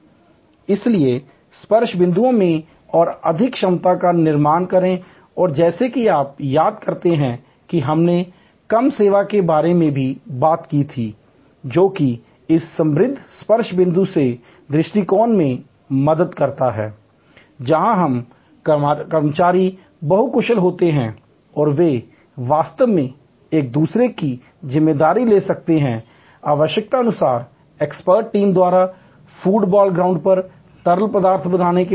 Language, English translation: Hindi, So, build in more competency in to the touch points and as you recall we also talked about seem less service, which also that approach is helped by this enriched touch points, where service employees are multi skilled and they can actually take on each other responsibility as needed, as a fluid formation on the food ball ground by an expert team